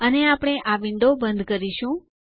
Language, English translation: Gujarati, And we will close this window